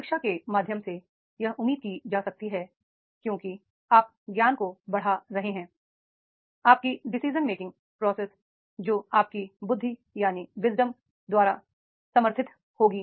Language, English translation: Hindi, Through education it is expected because you are enhancing the knowledge, your decision making process that will be supported by your wisdom